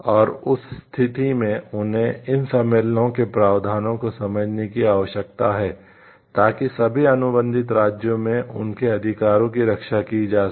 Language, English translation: Hindi, And in that case they need to understand the provisions of these conventions so that their rights can be protected in all the contracting states